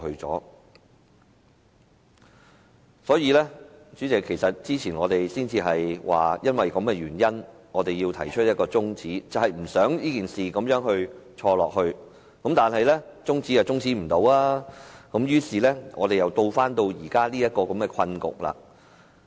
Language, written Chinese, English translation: Cantonese, 主席，早前我們正因為這個原因，提出把辯論中止待續的議案，不想這件事繼續錯下去，但未能成功把辯論中止，於是我們又回到這個困局。, President it is precisely because of this reason that we proposed the motion to adjourn the debate earlier . We do not want this mistake to continue . But we failed to adjourn the debate